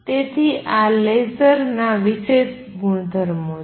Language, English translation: Gujarati, So, these are special properties of lasers